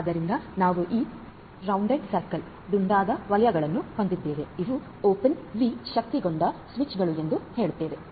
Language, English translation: Kannada, So, we have this open these are all like the rounded circles are all these let us assume that these are open V enabled switches right